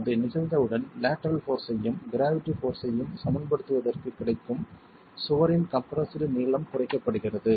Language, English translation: Tamil, Once that has occurred, the compressed length of the wall that is available for equilibrium the lateral force and the gravity force is reduced